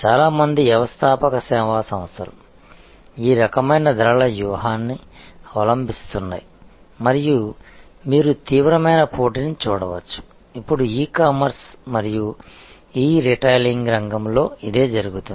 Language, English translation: Telugu, So, most entrepreneur service organizations, adopt this type of pricing strategy and as you can see the intense competition; that is going on now in the field of e commerce and e retailing